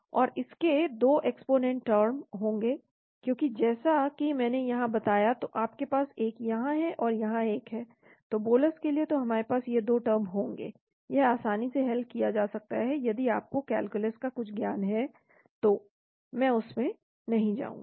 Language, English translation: Hindi, So this will have 2 exponent terms , because as I mentioned here so you have one here and one here, so for bolus so we will have these 2 terms , this can be easily solved if you have some knowledge about calculus, I will not go into that